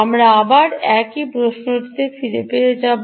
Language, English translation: Bengali, again the same question, right